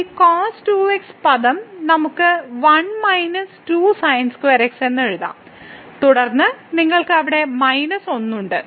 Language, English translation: Malayalam, So, this term we can write down as 1 minus square and then you have minus 1 there